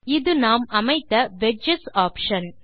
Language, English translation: Tamil, This is the Wedges option that we set